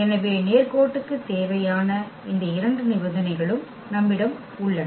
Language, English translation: Tamil, So, we have these 2 conditions required for the linearity